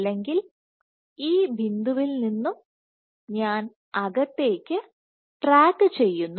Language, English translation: Malayalam, So, I am going from this point I am going inwards or this point I am tracking inwards